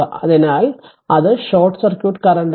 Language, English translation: Malayalam, So, that is your what you call short circuit current